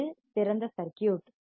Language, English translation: Tamil, It is open circuit